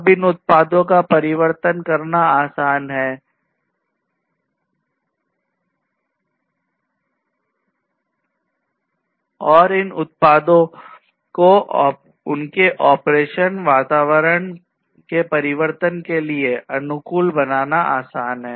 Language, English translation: Hindi, It is now easy to mutate these products, and also have these products adaptable to different changes in the environments of their operation